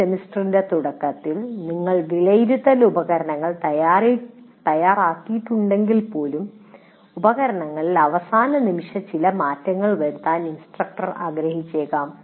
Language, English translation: Malayalam, Even if you prepare something in the beginning of the semester, based on things that happen, instructor may still want to make some last minute changes in the instruments